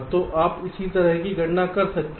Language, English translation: Hindi, so this you can calculate similarly